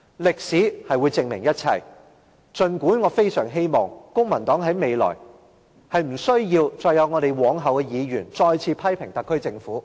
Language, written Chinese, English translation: Cantonese, 歷史會證明一切，儘管我非常希望公民黨未來不需要再有我們及往後的議員，再次批評特區政府。, History will prove everything even though I very much hope that either I or our successors from the Civic Party will not have to criticize the SAR Government again in the days to come